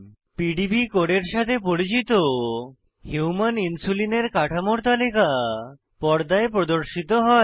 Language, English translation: Bengali, A list of known structures of Human Insulin along with the PDB codes appear on screen